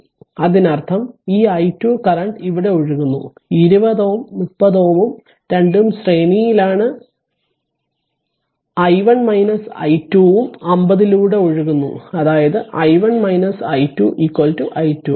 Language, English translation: Malayalam, So, let me clear it; that means, whatever current is flowing your this i 2 current is flowing here right 2 20 and 30 both are in series and i 1 minus i 2 also flowing through 50; that means, i 1 minus i 2 is equal to i 2